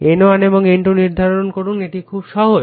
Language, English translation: Bengali, Determine N1 and N2, a very simple one